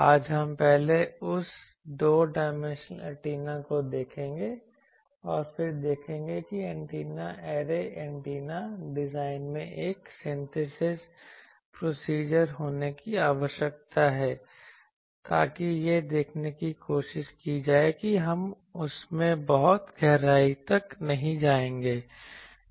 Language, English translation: Hindi, Today, we will first see that two dimensional antenna, and then see that there is a need for having a synthesis procedure in antenna array antenna design, so that will try to see though we would we would not go very deep in that